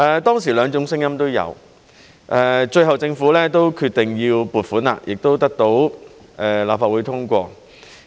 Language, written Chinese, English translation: Cantonese, 當時兩種聲音都有，最後政府都決定要撥款，亦得到立法會通過。, There were two kinds of views back then and the Government eventually decided to provide funding which was also approved by the Legislative Council